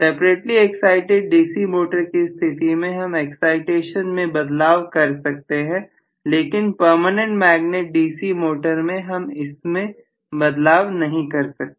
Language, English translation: Hindi, In separately excited DC motor I can adjust the excitation in a permanent magnet DC motor I cannot adjust the excitation